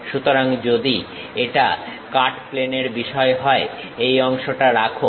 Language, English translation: Bengali, So, if this is the cut plane thing, retain this part